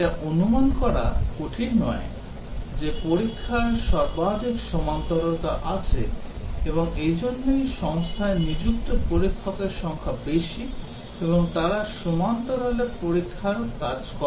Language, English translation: Bengali, It is not hard to guess testing has the maximum parallelism, and that is why number of testers employed by company are larger and they carry out testing in parallel